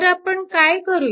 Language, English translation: Marathi, Then what we will do